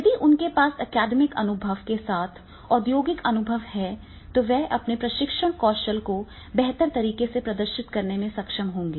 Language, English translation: Hindi, If the he is having the industrial experience and with the academic experience, he will be able to demonstrate his training skills in a much better way